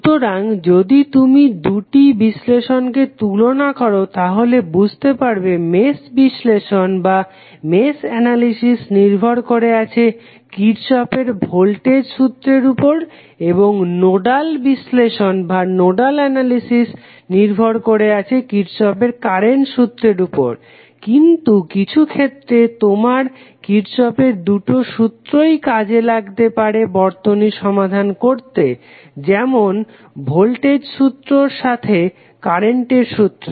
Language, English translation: Bengali, So, if you compare both of the analysis you will come to know that mesh analysis is depending upon Kirchhoff Voltage Law and nodal analysis is depending upon Kirchhoff Current Law but sometimes in both of the cases you might need both of the Kirchhoff’s Laws that is voltage law as well as current law to solve the circuit